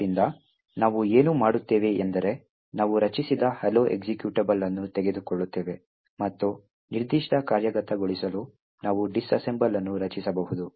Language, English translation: Kannada, So, what we do is we take the hello executable that we have created, and we could actually create the disassemble for that particular executable